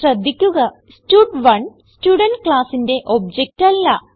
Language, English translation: Malayalam, Please note that stud1 is not the object of the Student class